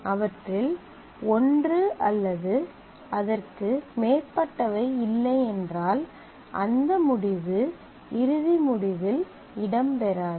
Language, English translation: Tamil, If it does not have any one or more of them then that tuple will not feature in the final result